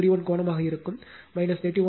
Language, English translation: Tamil, 31 angle minus 31